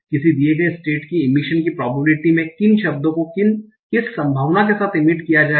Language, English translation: Hindi, You need the probability of emission given state which words will be emitted with what probability